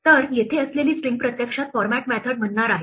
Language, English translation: Marathi, So, the string here is actually going to call a format method